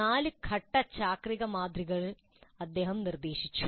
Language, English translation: Malayalam, He proposed a four stage cyclic model